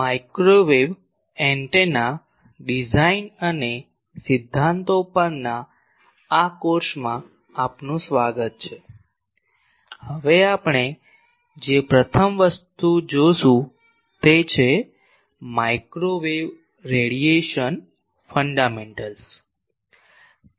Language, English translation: Gujarati, Welcome to this course on Microwave Antenna Design and Principles; now the first thing that we will see is microwave radiation fundamentals